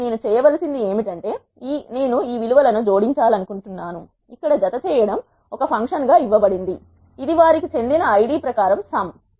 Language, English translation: Telugu, So, what I need to do is tapply I want to add this values the adding is given here as a function which is sum according to the Id they belong to